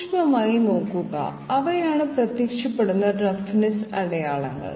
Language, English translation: Malayalam, Yet closer look yes, those are the roughness marks which appear